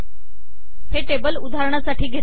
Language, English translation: Marathi, This is an example to, example table